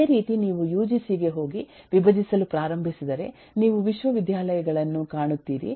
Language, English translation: Kannada, similarly, if you go to uGu and start decomposing that, you will find universities